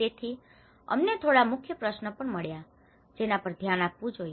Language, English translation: Gujarati, So, we also got key questions that are to be addressed